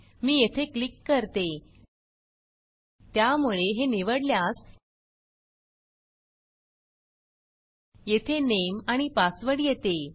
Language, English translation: Marathi, So now if I choose this, It will come and say, give the name and password